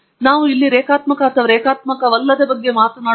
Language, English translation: Kannada, We are not talking about linear or non linear here